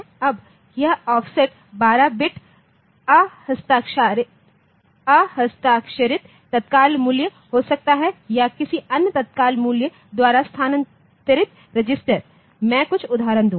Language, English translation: Hindi, Now, this offset can be 12 bit unsigned immediate value or a register shifted by another immediate value, I will I will take some examples